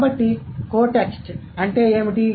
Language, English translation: Telugu, So, what is a code text